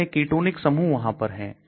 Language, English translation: Hindi, How many ketonic groups are there